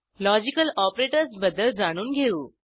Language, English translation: Marathi, Let us understand the use of Logical operators